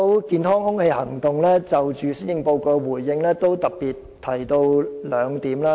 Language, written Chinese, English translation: Cantonese, 健康空氣行動就施政報告作出回應時曾特別提出兩點。, Clean Air Network has specifically raised two points in its response to this Policy Address